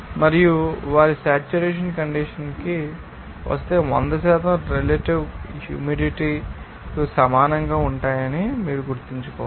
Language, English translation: Telugu, And you have to remember that it will be identical to the 100 percent relative humidity they are if they get to the saturation condition